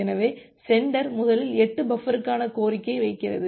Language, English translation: Tamil, So, the sender first request for 8 buffer